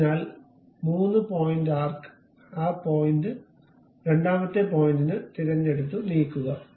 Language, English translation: Malayalam, So, a 3 point arc pick that point, second point and move it